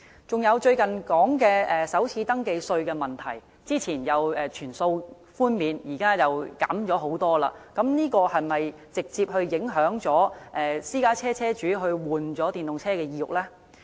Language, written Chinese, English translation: Cantonese, 再者，最近提到的首次登記稅的問題，早前說可全數寬免，現在卻是大幅減少，這是否直接影響私家車車主更換電動車的意欲呢？, All this has directly dampened car owners desire to switch to EVs . Besides we have been discussing the issue of first registration tax concessions for EVs these days . Previously it was said that total exemption could be possible